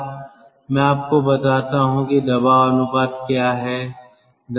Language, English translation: Hindi, let me tell you what is pressure ratio